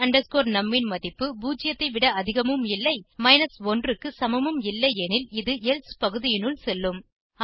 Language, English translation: Tamil, The value of my num is neither greater than 0 nor equal to 1 it will go into the else section